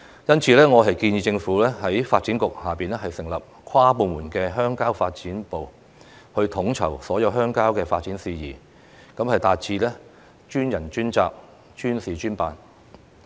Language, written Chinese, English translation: Cantonese, 因此，我建議政府在發展局下成立跨部門的鄉郊發展部，統籌所有鄉郊的發展事宜，達致專人專責，專事專辦。, For that reason I suggest that the Government should form a cross - departmental rural development unit under the Development Bureau to coordinate all the matters concerning rural development so as to assign dedicated people to deal with task - based jobs